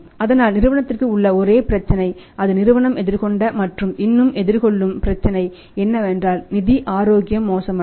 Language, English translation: Tamil, So, only problem to the company which the company even faced and facing even today is that the company's financial health will get this deteriorated